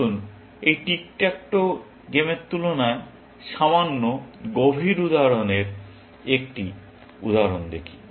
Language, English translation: Bengali, Let us look at an example of slightly, deeper example of this Tick Tack Toe game